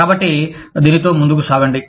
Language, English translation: Telugu, So, let us get on with it